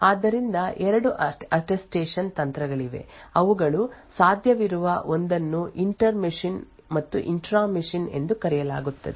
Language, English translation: Kannada, So, there are 2 Attestation techniques which are possible one is known is the inter machine and the intra machine